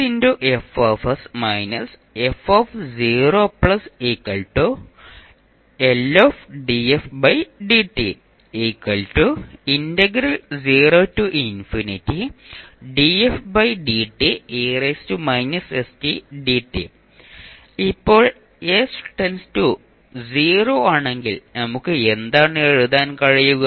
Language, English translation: Malayalam, Now if s tends to 0 what we can write